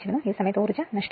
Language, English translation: Malayalam, So, total energy loss